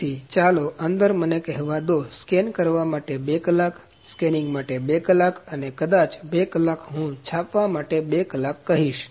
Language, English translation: Gujarati, So, within let me say 2 hours for scanning, 2 hours for scanning and 2 hours maybe, I will say 2 hours for printing